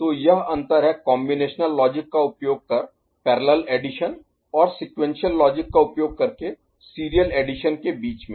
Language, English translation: Hindi, So, this is the difference between parallel addition using combinatorial logic and serial addition using sequential logic ok